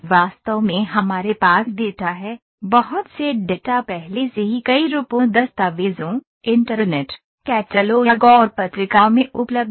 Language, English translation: Hindi, Actually we have data; lot of data is already available in many forms documents, internet, catalogues, and journals